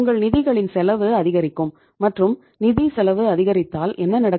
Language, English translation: Tamil, Your your cost of the funds will be increasing and if the cost of funds increase then what will happen